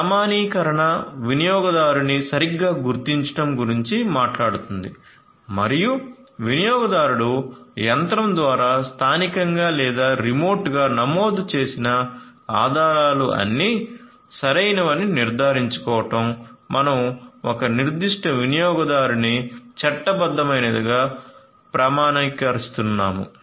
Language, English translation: Telugu, Authentication talks about identification of user correctly and ensuring that the credentials that are entered locally or remotely through the machine by the user are all correct and we are given, we are authenticating a particular user to be a legitimate one